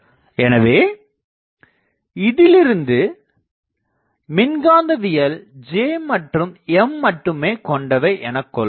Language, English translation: Tamil, So, actual sources I can say are for electromagnetics are J and M